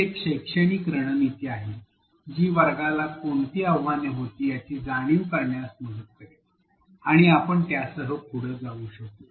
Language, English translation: Marathi, This is another pedagogical strategy that will help us realize what were the challenges that, the class faced and go on with it